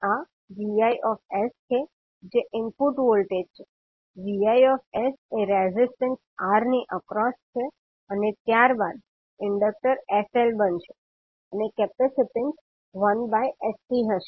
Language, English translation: Gujarati, So this is Vis that is input voltage, V naught s is across the resistance R and then the Inductor will become sl and the capacitance will be 1 by sC